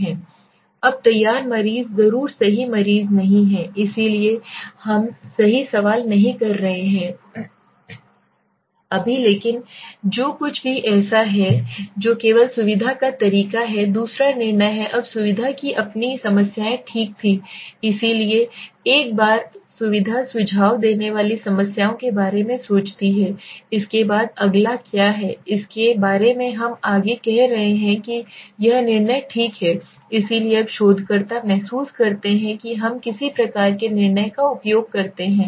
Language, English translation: Hindi, Now willing patients are not necessarily the right patients so we are not questioning right or wrong right now but whatever so that is only the way of convenience okay second is judgment now convenience had its problems right so once convenience suggest problems we think of the next so what is the next, next we are saying talking about is judgment okay so now the researcher feels let us use some kind of a judgment